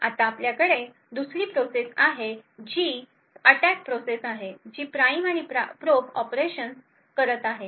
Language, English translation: Marathi, Now you have the other process which is the attack process which is doing the prime and probe operations